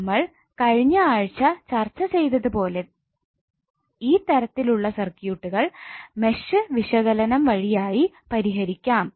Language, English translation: Malayalam, As we discussed in last week we did match analysis to solve this kind of circuits